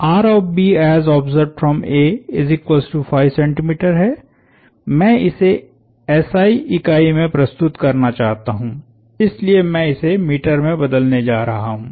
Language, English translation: Hindi, I like to deal in SI units, so I am going to convert that to meters